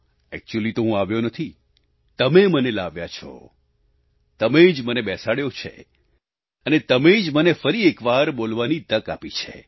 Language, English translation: Gujarati, Actually speaking, I have not RETURNED; you brought me back, you positioned me here and gave me the opportunity to speak once again